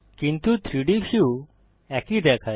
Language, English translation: Bengali, But the 3D view looks the same